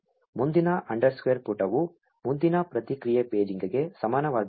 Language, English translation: Kannada, So, next underscore page is equal to response paging next